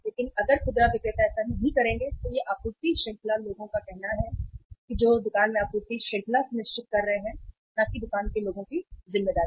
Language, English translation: Hindi, But if retailers will not do it then it should be the say uh duty of the supply chain people who are ensuring the supply chain in the store, not the responsibility of the store people